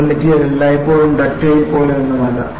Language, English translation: Malayalam, There is nothing like a material is always ductile